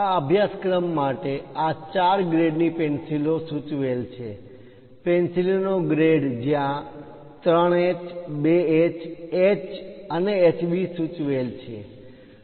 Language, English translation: Gujarati, The recommended pencils for this course are these four grades ; grade of the pencil where 3H, 2H, H, and HB are mentioned